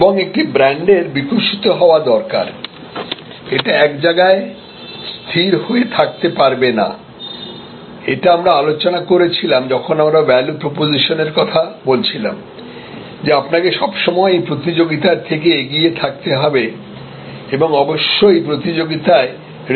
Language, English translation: Bengali, And a brand needs to be evolving it cannot be static point we discussed when we discussed proposition, value proposition that you need to be ahead of your competition and definitely respond to competition their value proposition